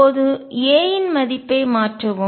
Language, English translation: Tamil, Now, substitute the value of a